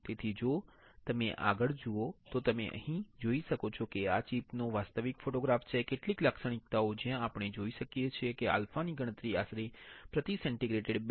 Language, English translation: Gujarati, So, if you see further you can see here that the, this is the actual photograph of the chip some characterization where we can see that the alpha was calculated about 2